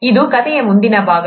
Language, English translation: Kannada, That is the next part of the story